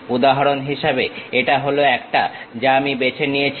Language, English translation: Bengali, For example, this is the one what I picked